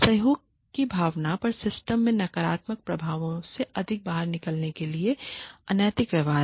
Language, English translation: Hindi, Unethical behaviors in order to get more out of the system, negative effects on the spirit of cooperation